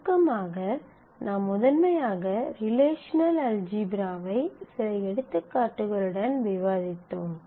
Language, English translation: Tamil, So, we start with the relational algebra in the relational algebra